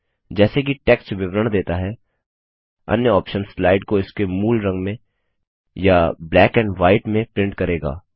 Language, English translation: Hindi, As the text describes, the other options will print the slide in its original colour or in black and white